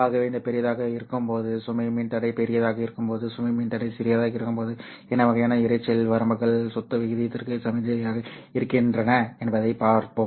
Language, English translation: Tamil, So we will see what happens when this large when the when the load resistor is large and when the low resistor is small what kind of noise limits are signal to noise ratio